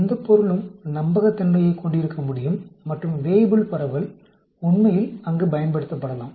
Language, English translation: Tamil, Anything can have a reliability and Weibull distribution can be used there actually